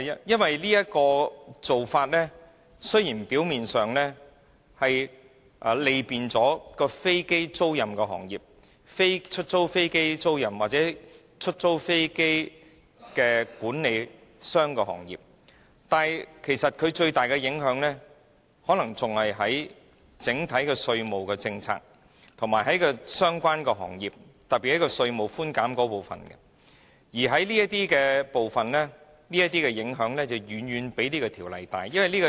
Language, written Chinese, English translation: Cantonese, 因為現時的做法表面上雖是便利了飛機租賃行業，例如飛機租賃公司或飛機租賃管理公司，但其最大影響其實是在整體稅務政策方面，特別是對相關行業的稅務寬減規定，所造成的影響更遠較《條例草案》本身更加深遠。, It is because superficially the present proposals will facilitate the aircraft leasing industry such as aircraft leasing companies or aircraft leasing managers but the proposals will actually have the greatest impact on the overall taxation policies . In particular the impact brought about by the provisions on tax concession measures devised for the relevant trades and industries will be much more far - reaching than that caused by the Bill itself